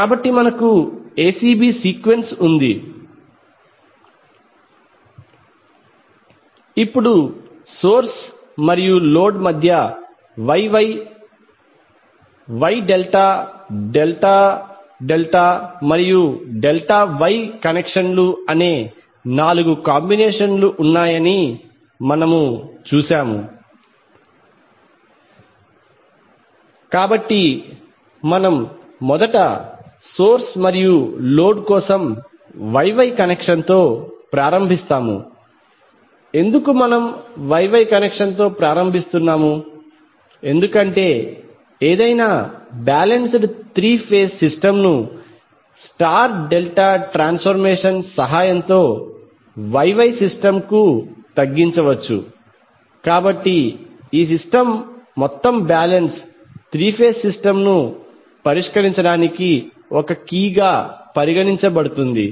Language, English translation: Telugu, Now let us talk about the connections we saw that there are first four possible combinations that is Y Y, Y delta, delta delta and delta Y connections between source and load, so we will first start with Y Y connection for the source and load, why we are starting with Y Y connection because any balanced three phase system can be reduced to a Y Y system with the help of star delta transformation, so therefore this system is considered as a key to solve the all balance three phase system